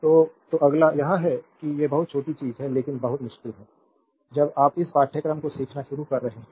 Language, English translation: Hindi, So, right so, next one is this is these are the very small thing, but very tricky when you are starting your learning this course